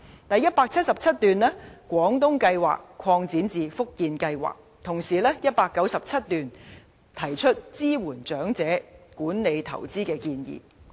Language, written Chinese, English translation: Cantonese, 第177段建議把"廣東計劃"擴展至"福建計劃"，而第197段則提出支援長者管理投資的建議。, Moreover it is proposed in paragraph 177 that arrangements under the Guangdong Scheme will be extended to the Fujian Scheme and paragraph 197 proposes supporting the elderly in investment management